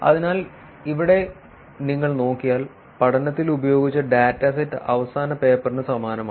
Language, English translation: Malayalam, So, here if you look at it, the dataset that was used in the study is the same as the last paper